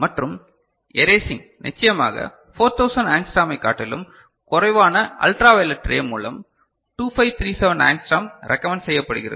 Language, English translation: Tamil, And erasing of course, by ultraviolet ray which is shorter than 4000 angstrom, recommended is 2537 angstrom